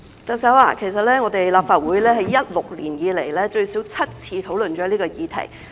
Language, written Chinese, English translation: Cantonese, 特首，其實立法會自2016年以來，已最少7次討論這項議題。, Chief Executive the Legislative Council has in fact discussed this subject at least seven times since 2016